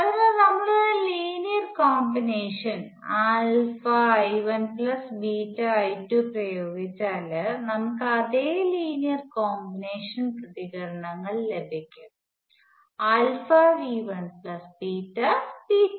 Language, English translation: Malayalam, So, if we apply a linear combination alpha I 1 plus beta I 2, we will get the same linear combination responses alpha V 1 plus beta V 2